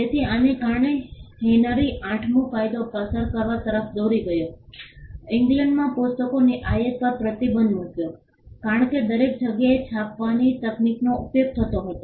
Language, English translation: Gujarati, So, that led to Henry the VIII leading passing a law, banning the imports of books into England because printing technology was practiced everywhere